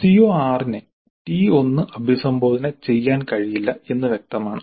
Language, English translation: Malayalam, Evidently CO6 cannot be addressed by T1